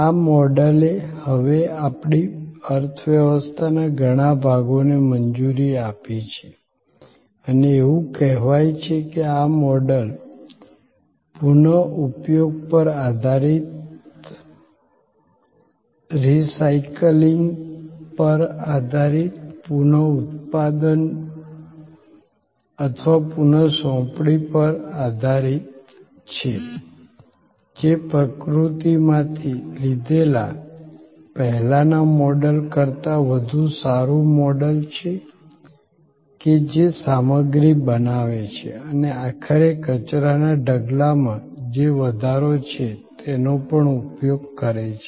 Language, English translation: Gujarati, This model has now permitted many segments of our economy and it is being said that this model of based on reuse, based on recycling, based on remanufacturing or reassignment is a far better model than the earlier model of take from nature, makes stuff and ultimately enhance the waste heap, the garbage heap